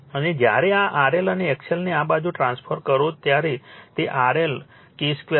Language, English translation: Gujarati, And when you transform this R L and X L to this side it will be thenyour R L into your K square